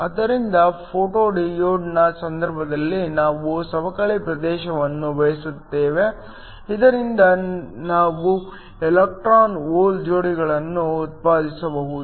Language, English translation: Kannada, So, In the case of a photo diode we want a depletion region, so that we can generate electron hole pairs